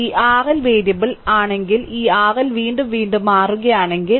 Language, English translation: Malayalam, And if this R L is variable, if this R L is changing again and again